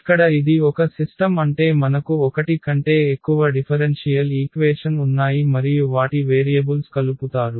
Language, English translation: Telugu, So, here it is a system, system means we have a more than one differential equations and their variables are coupled